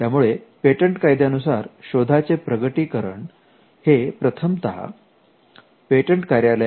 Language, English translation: Marathi, Patent law requires disclosures to be made first to the patent office